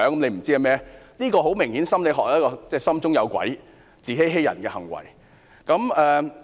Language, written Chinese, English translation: Cantonese, 很明顯，這是心理學所指的心中有鬼、自欺欺人的行為。, Obviously in psychology this is a self - deceiving act of someone having a skeleton in the closet